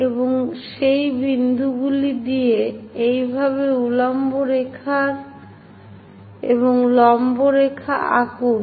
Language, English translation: Bengali, And from those points draw vertical lines perpendicular lines in that way